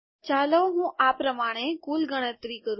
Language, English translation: Gujarati, Let me total up as follows